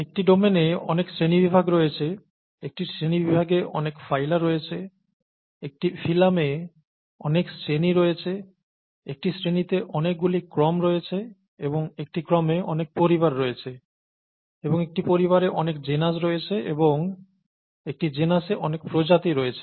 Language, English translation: Bengali, There are many kingdoms in a domain, there are many phyla in a kingdom, there are many classes in a phylum, there are many orders in a class, and there are many families in an order and there are many genuses in a family and many species in a genus